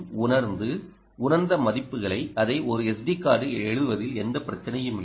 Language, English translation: Tamil, we were sensing it and writing it into an s d card, no problem